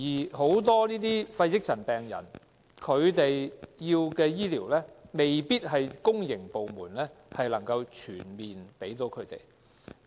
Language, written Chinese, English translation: Cantonese, 但很多肺積塵病人需要的醫療服務，未必是公營部門能夠全面提供的。, However many medical services required by pneumoconiosis patients are not covered by the public sector